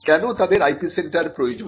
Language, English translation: Bengali, Why do they need IP centres